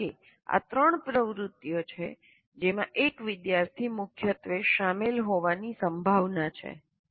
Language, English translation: Gujarati, Because these are the three activities a student will get is is likely to be dominantly getting involved